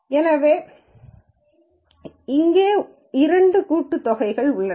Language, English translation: Tamil, So, there are, there is a double summation